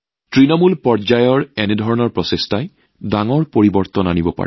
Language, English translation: Assamese, Such efforts made at the grassroots level can bring huge changes